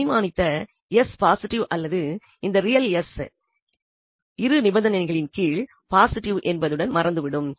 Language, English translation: Tamil, So, the first term is actually vanishing with the assumption that s is positive or this real s is positive under these two conditions, this will vanish